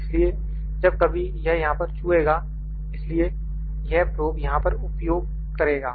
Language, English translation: Hindi, So, whenever it touches here so, this probe will use here